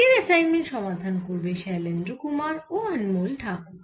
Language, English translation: Bengali, today's assignment will be solved by shailendra kumar and anmol thakor